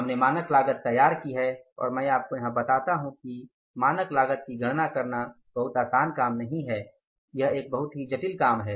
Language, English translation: Hindi, We have devised the standard cost and I tell you here calculating the standard cost is not a very very easy task